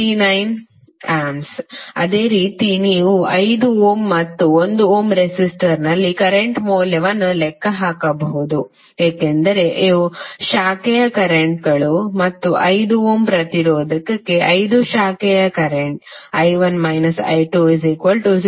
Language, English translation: Kannada, So similarly you can calculate the value of current in 5 ohm and 1 ohm resistor because these are the branch currents and 5 for 5 ohm resistance the branch current would be I1 minus I2